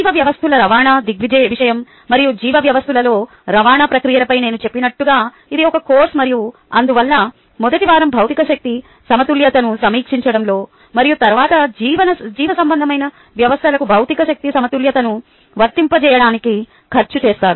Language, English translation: Telugu, this is a course on tra, as i mentioned, on transport, ah processes and biological systems, transport phenomena and biological systems, and therefore the first week is ah um spend in reviewing material energy balance and then applying material energy balance to biological systems in particular